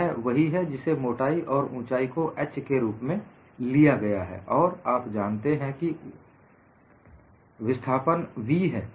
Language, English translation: Hindi, This is what is the thickness and the height is taken as h, and the total displacement is v